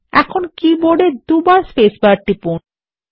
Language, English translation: Bengali, Now press the spacebar on the keyboard twice